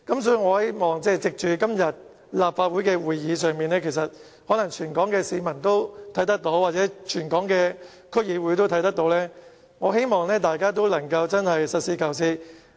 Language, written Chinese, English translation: Cantonese, 所以，藉着今天的立法會會議，如果全港市民和區議會均有收看的話，我希望大家都能夠實事求是。, Therefore seizing the opportunity of todays Council meeting I urge members of the public and DC members who are watching the live broadcast to be more pragmatic